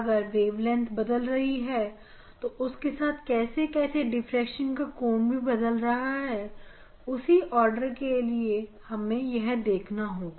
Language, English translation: Hindi, If wavelength is changed then what will be the change of the angle of the diffraction for same order